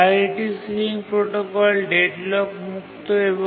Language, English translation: Bengali, Priority sealing protocol is deadlock free